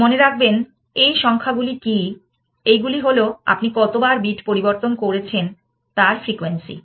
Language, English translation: Bengali, Remember that, what these numbers are, these are the frequency of how many times you have changes that bit essentially